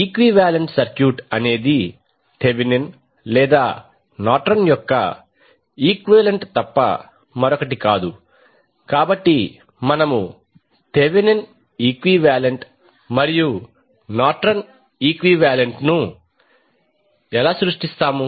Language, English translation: Telugu, Equivalent circuit is nothing but Thevenin’s or Norton’s equivalent, so how we will create Thevenin equivalent and Norton equivalent